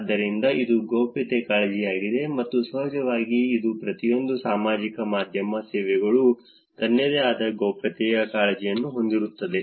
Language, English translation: Kannada, So, that is the privacy concern and of course, every each of these social media services will have its own privacy concerns also